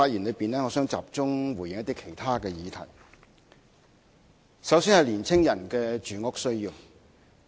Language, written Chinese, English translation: Cantonese, 我現時想集中回應一些其他議題，首先是青年人的住屋需要。, Now I would like to concentrate on some other subjects . The first one is young peoples housing needs